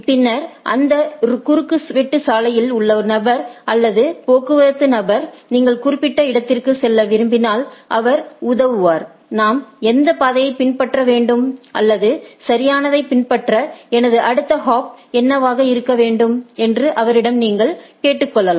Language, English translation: Tamil, Then, the person or the traffic person in the crossing may help you that you say that, if I want to go to that particular destination which path I need to follow or what should be my next hop to follow right